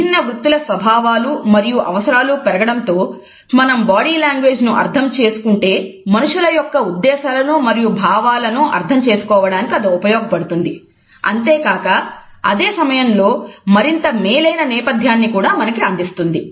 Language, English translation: Telugu, As the nature and demands of different professions is growing, we find that our understanding of body language would help us in understanding the intentions and attitudes of the people and at the same time it would provide us a better orientation